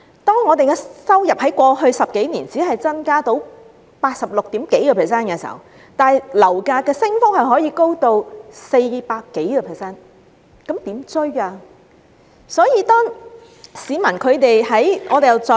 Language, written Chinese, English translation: Cantonese, 當我們的收入在過去10多年只增加百分之八十六點多，但樓價升幅卻高達百分之四百多，收入怎能追得上樓價？, When our income only had a growth of 86 % or so in the past 10 - odd years how can we catch up with the hike of over 400 % in property prices?